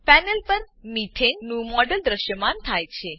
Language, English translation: Gujarati, A model of methane appears on the panel